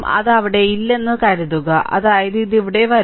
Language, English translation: Malayalam, Suppose it is not there so; that means, this will come here